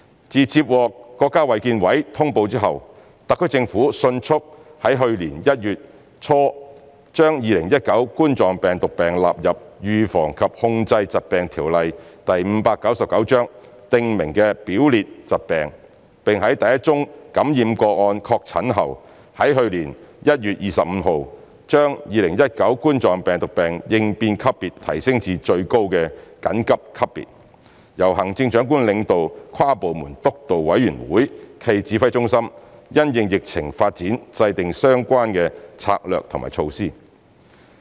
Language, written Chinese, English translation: Cantonese, 自接獲國家衞健委通報後，特區政府迅速地於去年1月初將2019冠狀病毒病納入《預防及控制疾病條例》訂明的表列疾病；並在第一宗感染個案確診後，在去年1月25日將2019冠狀病毒病應變級別提升至最高的"緊急"級別，由行政長官領導跨部門督導委員會暨指揮中心，因應疫情發展制訂相關策略和措施。, After receiving the notification from the National Health Commission the SAR Government swiftly included COVID - 19 as Scheduled Infectious Diseases in the Schedule under the Prevention and Control of Disease Ordinance Cap . 599 in early January last year raised the response level of COVID - 19 to Emergency soon after the confirmation of the first case of infection on 25 January last year and established the inter - departmental Steering Committee cum Command Centre led by the Chief Executive to formulate the relevant policies according to the development of the epidemic